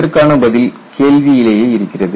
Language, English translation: Tamil, See the answer is there in the question itself